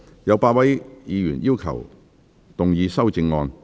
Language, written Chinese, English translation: Cantonese, 有8位議員要動議修正案。, Eight Members will move amendments to this motion